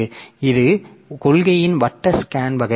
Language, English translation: Tamil, So, this is the circular scan type of policy